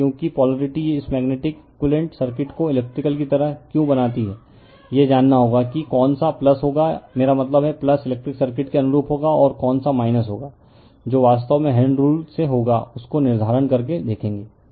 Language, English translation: Hindi, So, the because the polarity why do you make this magnetic equivalent circuit like electrical, you have to know which will be the plus, I mean analogous to your electrical circuit will be plus and which will be minus that will actually from the right hand rule will be determinant we will see that